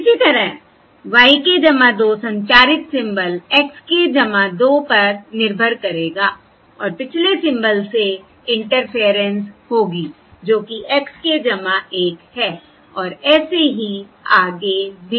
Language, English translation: Hindi, Similarly, y k plus 2 will depend on the transmitted symbol, x k plus 2, and there will be interference from the previous symbol, that is, x k plus 1, and so on